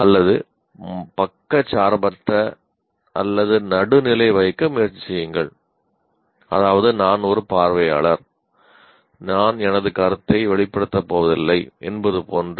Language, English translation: Tamil, Or sometimes try to be impartial, neutral, okay, I am an observer, I am not going to express my view